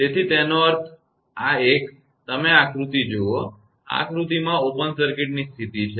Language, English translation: Gujarati, So that means, this one; you look at this figure; open circuit condition this figure